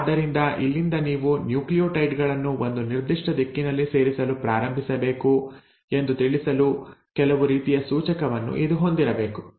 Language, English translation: Kannada, So it has to have some sort of an indicator which will tell us that from here you need to start adding nucleotides in a certain direction